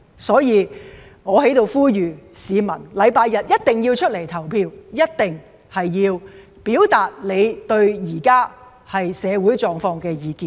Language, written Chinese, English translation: Cantonese, 所以，我在此呼籲市民，周日一定要出來投票，一定要表達對社會現況的意見。, For that reason I urge members of the public to come out and cast their votes on Sunday . You should express your views on the current social situation